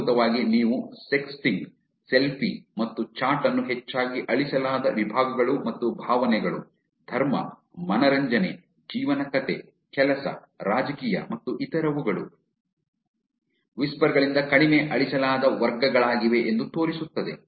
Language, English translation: Kannada, Essentially showing that you sexting, selfie and chat are the categories, which were most frequently deleted, and emotion, religion, entertain, life story, work, politics and others were the least deleted categories from the whispers